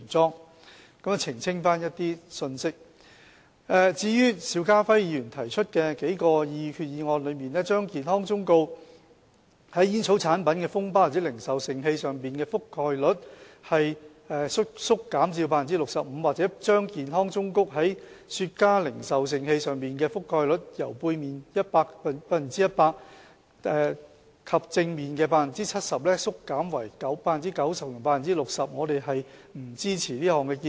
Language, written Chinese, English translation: Cantonese, 至於邵家輝議員在擬議決議案之中提出的數項修訂，建議把健康忠告在煙草產品的封包或零售盛器上的覆蓋率縮減至 65%， 或把健康忠告在雪茄零售盛器上的覆蓋率由背面 100% 及正面 70% 縮減為 90% 及 60%， 我們並不支持這項建議。, As to the several amendments proposed by Mr SHIU Ka - fai in his proposed resolutions seeking to reduce the coverage of the health warnings on packets or retail containers of tobacco products to 65 % or reduce the coverage of the health warnings on retail containers of cigars from 100 % to 90 % on the back side and from 70 % to 60 % on the front side we do not support such a proposal